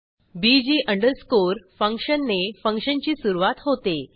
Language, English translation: Marathi, bg underscore function marks the beginning of the function